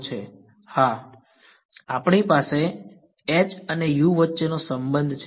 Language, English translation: Gujarati, We have a relation between h and u